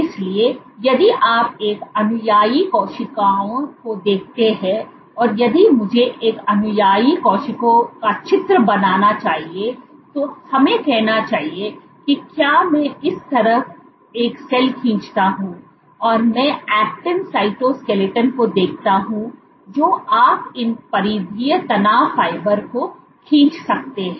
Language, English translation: Hindi, So, if you look at an adherent cell see if I would to draw an adherent cell let us say if I draw a cell like this and I look at the actin cytoskeleton you might have as well as, I have drawn these peripheral stress fibers